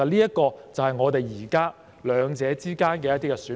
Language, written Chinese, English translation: Cantonese, 這就是我們現時在兩者之間的一些選項。, It is one of the options apart from the existing two